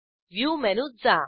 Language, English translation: Marathi, Go to View menu